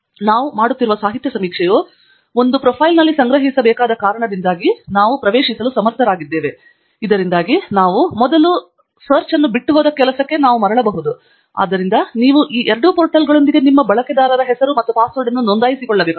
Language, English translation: Kannada, The reason being that the literature survey that we are doing should be stored in a profile that only we are able to access, so that we can come back to the work where we left earlier; and therefore, you need to register your user name and password with both these portals